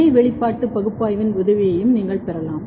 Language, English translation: Tamil, You can also take help of the co expression analysis